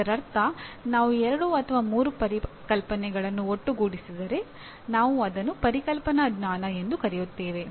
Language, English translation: Kannada, That means if I combine two or three concepts and create a relationship that is also conceptual knowledge